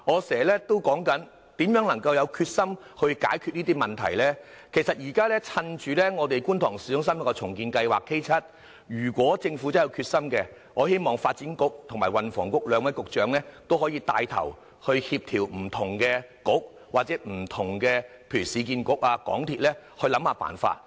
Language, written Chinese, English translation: Cantonese, 其實，如果政府真的有決心，我希望可以趁着市區重建局進行觀塘市中心重建計劃，由發展局和運輸及房屋局兩位局長牽頭協調不同的局，又或請市建局和香港鐵路有限公司想想辦法。, I hope that if the Government is really determined to tackle this problem it can grasp the opportunity of the ongoing Kwun Tong Town Centre Redevelopment Project of the Urban Renewal Authority URA . The Secretary for Development can join hands with the Secretary for Transport and Housing to corordinate the efforts of other bureaux . Or perhaps the Government may ask URA and the MTR Corporation Limited MTRCL to do something